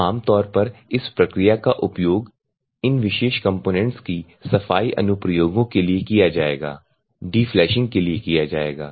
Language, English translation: Hindi, So, the commonly it will be used for cleaning applications of this particular components, De flashing of this particular components